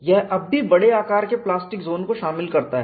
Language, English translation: Hindi, He had only got the extent of plastic zone